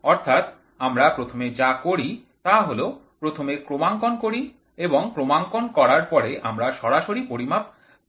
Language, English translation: Bengali, So, what we do is we first calibrate after the calibration is over and whatever we get in the direct measurement